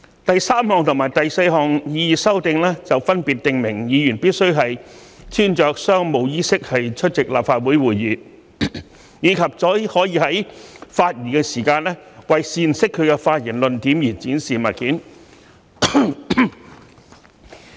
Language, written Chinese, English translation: Cantonese, 第三項和第四項擬議修訂，分別訂明議員必須穿着商務衣飾出席立法會會議，以及只可在發言時為闡釋其發言論點而展示物件。, The third and fourth proposed amendments provide respectively that Members must dress in business attire when attending Council meetings and may only display objects for the purpose of illustrating their arguments when delivering their speeches